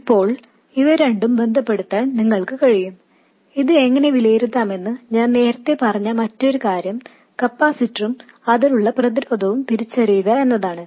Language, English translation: Malayalam, Now you can also relate this to the other thing I said earlier, how to evaluate this is to identify the capacitor and the resistance across it